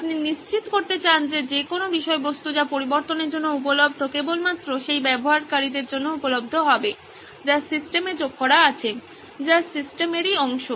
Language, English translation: Bengali, You want to ensure that whatever content is available for editing is only available to the users that have been added into the system, that are part of the system